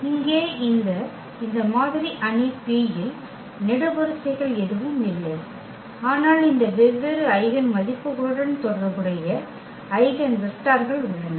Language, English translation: Tamil, So, here this model matrix P has the columns that are nothing, but the eigenvectors corresponding to these different eigenvalues